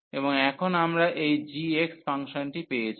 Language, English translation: Bengali, And now we got this function g x